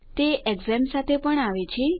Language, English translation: Gujarati, It also comes with XAMPP